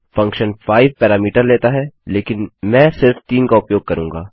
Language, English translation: Hindi, The function takes 5 parameters but I will use just 3